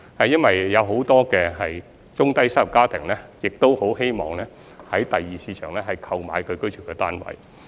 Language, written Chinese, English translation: Cantonese, 因為很多中低收入家庭很希望在第二市場購買居住單位。, It is because many low - to middle - income families wish to purchase flats for occupation from the Secondary Market